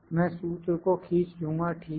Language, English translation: Hindi, If I drag I will drag the formula, ok